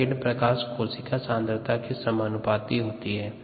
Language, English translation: Hindi, the light that is been scattered is proportional to the concentration of cells